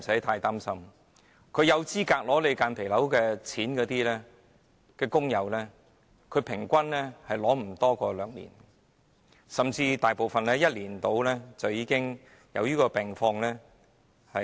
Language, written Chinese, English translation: Cantonese, 合資格申領補償的工友，平均無法領取補償超過兩年，甚至大部分在1年內，便會因病離世。, On average workers who are eligible for compensation will receive compensation for not more than two years and some of them even died of the disease within a year